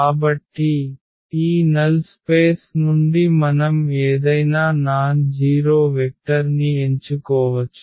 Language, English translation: Telugu, So, we can pick any vector, any nonzero vector from this null space